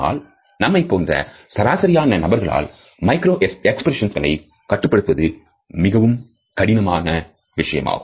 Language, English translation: Tamil, However, on an average in professions like us we find that the control of micro expressions is very difficult